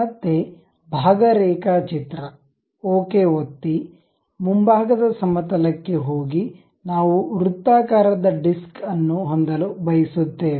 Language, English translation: Kannada, Again part drawing, click ok, go to frontal plane, we would like to have a circular disc